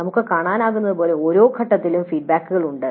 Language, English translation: Malayalam, As we can see there are feedbacks at every stage